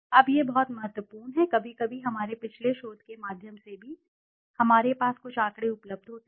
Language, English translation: Hindi, Now this is very important, sometimes through our past research also we have some data available to us